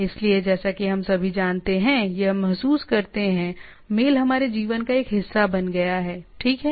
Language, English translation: Hindi, So, mail as we all know or realize is became a part and parcel of our life, right